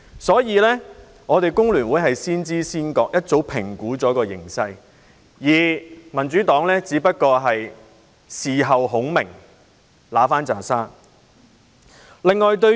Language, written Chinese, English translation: Cantonese, 所以，工聯會先知先覺，早已對形勢作出評估，而民主黨只不過是事後孔明，想取回一堆沙。, Thus The Hong Kong Federation of Trade Unions FTU has evaluated the situation and acquired a good understanding in advance whereas the Democratic Party only becomes wise after the incident and gives a poor excuse to avoid embarrassment